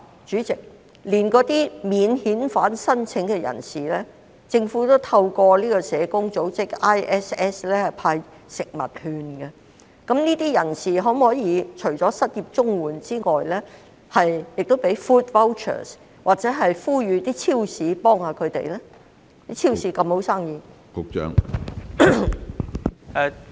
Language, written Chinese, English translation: Cantonese, 主席，即使是免遣返聲請人士，政府也會透過香港國際社會服務社向他們派發食物券，當局可否同樣向領取失業綜援的人派發食物券或呼籲超市幫助他們？, President as the Government has distributed food vouchers to non - refoulement claimants through the International Social Service Hong Kong Branch will the authorities likewise distribute food vouchers to recipients of CSSA unemployment support or urge supermarkets to offer help?